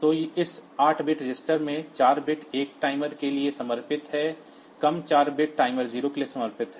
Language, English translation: Hindi, So, this is one 8 bit register and it can be used a lower 4 bits for timer 0, and upper 4 bits for timer 1